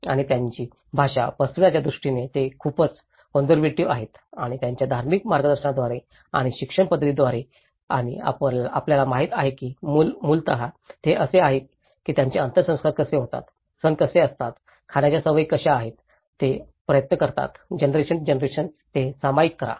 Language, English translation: Marathi, And because they are also very conservative in terms of spreading their language and through their religious guidance and the education systems and the shared customs you know they are basically, you know how their funerals, how the festivals, how the food habits, they try to share that through generation to generation